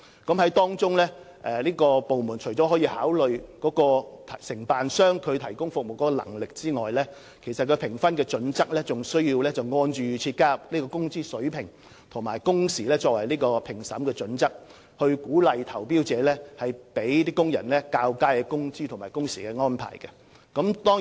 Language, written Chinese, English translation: Cantonese, 部門在評分時除考慮承辦商提供服務的能力之外，亦需按照預設標準加入工資水平和工時作為評分準則，以鼓勵投標者向工人提供較佳的工資和工時安排。, Apart from assessing the ability of contractors in rendering the required services according to the marking schemes procurement departments are also required to include the proposed wages and working hours under pre - set assessment criteria in the technical assessment so that tenderers who are prepared to pay higher wages or propose shorter working hours for workers will receive higher scores